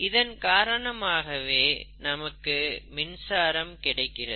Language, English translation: Tamil, And that's how you get electricity